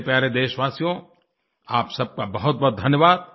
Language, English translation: Hindi, My dear countrymen, many thanks to you all